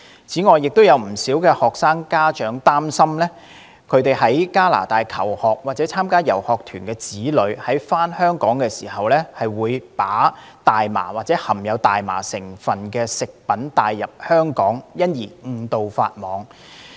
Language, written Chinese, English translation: Cantonese, 此外，有不少學生家長擔心其在加拿大求學或參加遊學團的子女在返港時，把大麻或含大麻成分食品帶入香港，因而誤墮法網。, Moreover quite a number of parents of students are worried that their children who are studying or participating in study tours in Canada may bring cannabis or food products containing cannabis into Hong Kong when they return to the territory thereby contravening the law inadvertently